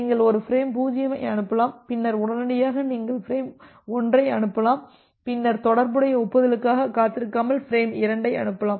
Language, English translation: Tamil, So, you can send a frame 0, then immediately you can send frame 1, then you can send frame 2 without waiting for the corresponding acknowledgement